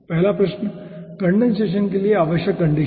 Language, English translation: Hindi, first question: necessary condition for condensation